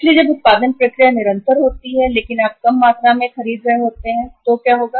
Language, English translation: Hindi, So when the production process is continuous but you are buying in the smaller quantities so what will happen